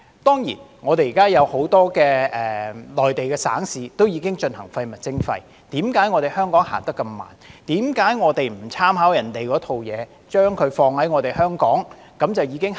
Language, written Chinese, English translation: Cantonese, 當然，現時很多內地省市都已推行廢物徵費，為何香港走得那麼慢，為何我們不參考別人那一套，把那一套放在香港便可以立即推行。, Many Mainland provinces and municipalities have already implemented waste charging but why is Hong Kong so slow in doing so? . Why do we not draw reference from the practice of others and adopt the same in Hong Kong for immediate implementation?